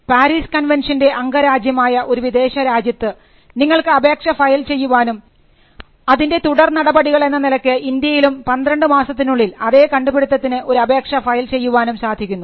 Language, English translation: Malayalam, So, this is in arrangement, where you can file an application in any country, which is a member of the Paris convention and follow it up with an application in India for the same invention, within a period of 12 months